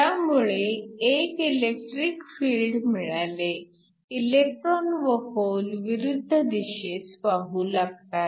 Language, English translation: Marathi, In this case, there is an electric field, so the electrons and holes move in the opposite direction